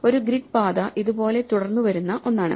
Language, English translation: Malayalam, So, a grid path is one which follows this right